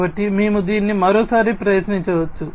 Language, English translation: Telugu, So, we can try it out once again